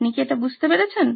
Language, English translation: Bengali, Do you get it